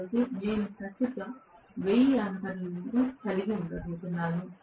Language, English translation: Telugu, So, I am going to have may be some 1000 of amperes of current